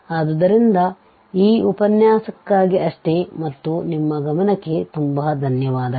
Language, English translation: Kannada, So, that is all for this lecture and I thank you very much for your attention